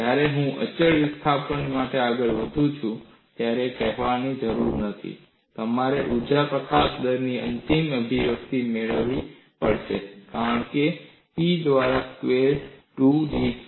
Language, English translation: Gujarati, When I move in for constant displacement, it is needless to say that you have to get the final expression of energy release rate as P square 2B dC by da